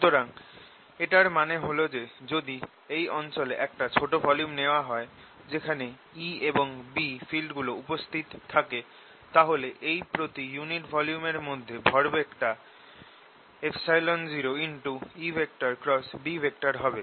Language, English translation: Bengali, so what it means is, if i take a small volume here in this region where the e and b field is exist, the momentum contained with this volume is going to be, per unit volume, epsilon naught, e cross b